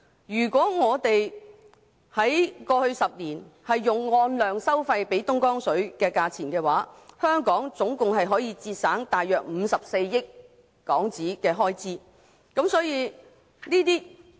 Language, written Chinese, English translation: Cantonese, 如過去10年用按量收費方式支付東江水的話，香港合共可節省大約54億港元的開支。, Had a quantity - based charging scheme been adopted for the past 10 years Hong Kong could have saved about a total of HK5.4 billion on Dongjiang water